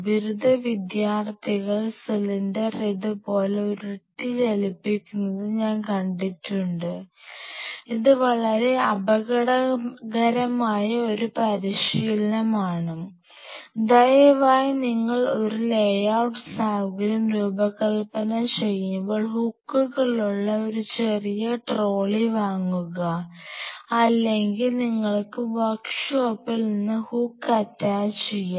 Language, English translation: Malayalam, I have seen graduate students rolling the cylinder moving them like this, it is a very dangerous practice please how much you have boring I sounds these are the god damn problems please when you design a layout facility buy a small trolley with hooks there are things or you can attach hook from your work shop